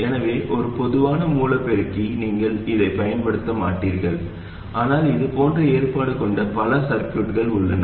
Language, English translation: Tamil, So just for a common source amplifier you would probably not use, but there are many other circuits in which such an arrangement appears